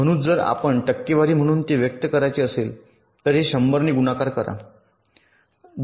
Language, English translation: Marathi, so if you want to express it as a percentage, multiply this by hundred